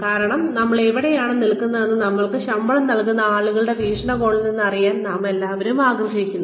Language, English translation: Malayalam, Why because, we all want to know, where we stand, from the perspective of the people, who are paying us, our salaries